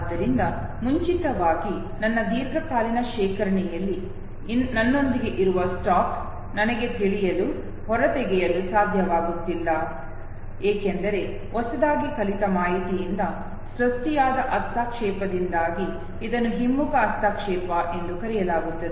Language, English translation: Kannada, So earlier the stack that is with me in my long term storage that I am not able to know, extract out, because of the interference that is created by the newly learned information, this is called retroactive interference